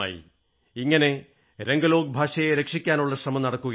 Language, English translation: Malayalam, There is an effort to conserve the Ranglo language in all this